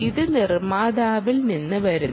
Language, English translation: Malayalam, this comes from the manufacturer